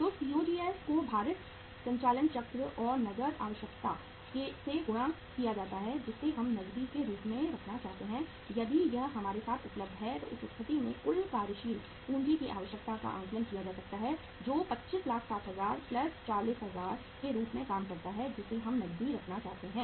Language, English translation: Hindi, So COGS multiplied by the weighted operating cycle and the cash requirement which we want to keep as cash if it is available with us so in that case the total working capital requirement can be assessed which works out as 2560000 plus 40000 we want to keep as cash